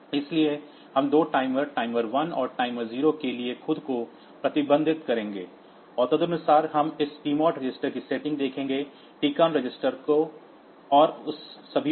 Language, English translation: Hindi, So, we will restrict ourself to 2 timers timer 1 and timer 0 timer 1, and accordingly we will see the setting of this TMOD register TCON register and all that